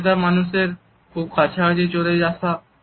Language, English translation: Bengali, To get too close to people you do not know